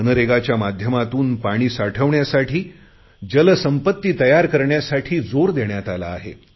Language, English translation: Marathi, Under MNREGA also a stress has been given to create assets for water conservation